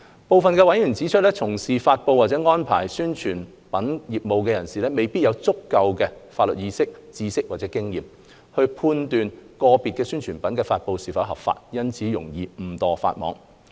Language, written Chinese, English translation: Cantonese, 部分委員提出，從事發布或安排發布宣傳品業務的人士未必有足夠法律意識、知識或經驗，判斷個別宣傳品的發布是否合法，因此容易誤墮法網。, Some members pointed out that a person who published or caused to be published an advertisement might not have sufficient legal sense knowledge or experience to judge whether it was lawful or not to publish a particular advertisement and might hence violate the law inadvertently